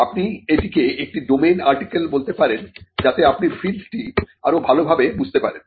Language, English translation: Bengali, Say, you can call it a domain article so that you understand the field better